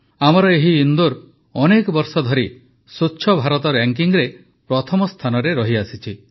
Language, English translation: Odia, Our Indore has remained at number one in 'Swachh Bharat Ranking' for many years